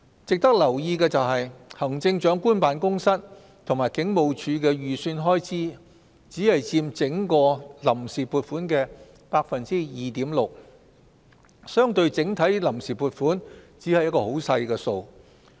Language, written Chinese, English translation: Cantonese, 值得留意的是，行政長官辦公室及警務處的預算開支，只佔整項臨時撥款的 2.6%， 相對整體臨時撥款，只是很少的數目。, It is worth noting that the estimated expenditures of the Chief Executives Office and the Hong Kong Police only account for 2.6 % of the entire provisional appropriation which is a relatively small number